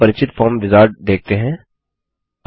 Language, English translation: Hindi, Now we see the familiar Form wizard